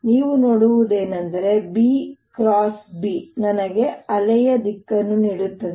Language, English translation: Kannada, what you can see is that e cross b gives me the direction of the wave